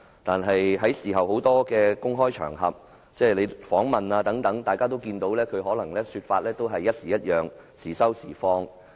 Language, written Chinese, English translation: Cantonese, 但是，在事後多個公開場合如記者訪問中，大家也可看到他的說法次次不同、時收時放。, Some words of his may be a bit exaggerated but in many of the public occasions like the press interviews we can see that his sayings varied every time sometimes being restrained but sometimes being open